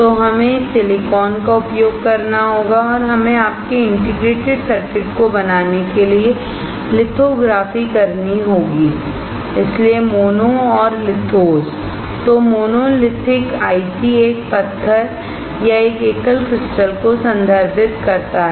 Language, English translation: Hindi, So, we have to use this silicon and we had to do lithography to form your integrated circuit that is why mono and lithos; So, the monolithic ICs refer to a single stone or a single crystal